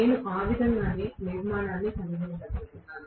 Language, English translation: Telugu, That is the way I am going to have the structure, right